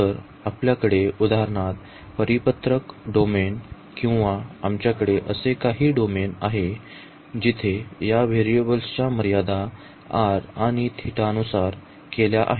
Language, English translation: Marathi, So, we have for example, the circular domain or we have some other domain where the boundaries are prescribed in terms of this variable here r and n theta